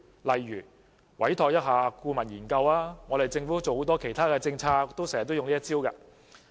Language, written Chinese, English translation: Cantonese, 例如，委託顧問研究，這是政府推行很多其他政策經常使用的方法。, For instance it can commission a consultancy study on the subject . This is the approach often adopted by the Government when implementing many other policies